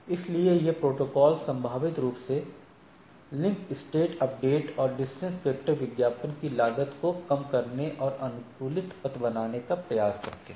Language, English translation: Hindi, So, these protocols potentially reduce the cost of link state updates and distance vector advertisement and try to have a optimized path along the things